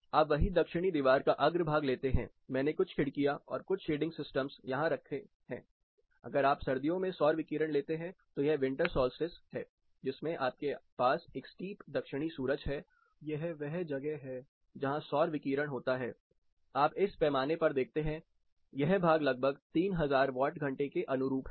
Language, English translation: Hindi, You take the same Southern wall surface, I have put some windows and some shading systems here, if you take the solar radiation incidence on a winter, this is winter solstice you have a steep Southern sun, this is where the solar radiation incidence occurs if you see in this scale, this portion corresponds to somewhere around 3000 watt hours